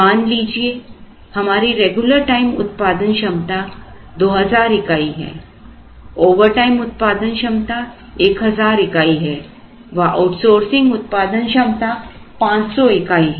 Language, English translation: Hindi, Suppose, the regular time production capacity is only 2,000 or 3,000, let us say the overtime production capacity is 500